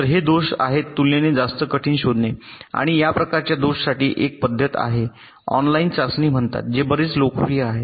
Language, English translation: Marathi, so these faults are relatively much more difficult to detect and for this kind of faults there is a methodology called online testing, which is quite popular